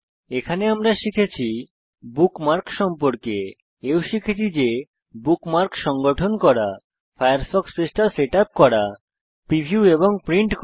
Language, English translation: Bengali, We will also learn, how to: Organize Bookmarks, Setup up the Firefox Page, Preview and Print it